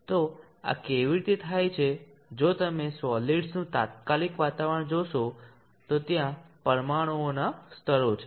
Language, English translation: Gujarati, So how does this come about, if you see the immediate environment of the solid there are layers of molecules